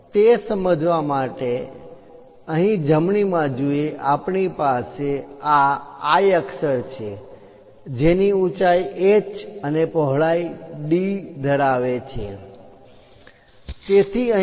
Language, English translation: Gujarati, To understand that, in the right hand side, we have this I letter, which is having a height of h and a width of d , so here h is 2